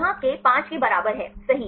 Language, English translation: Hindi, Here k equal to 5 right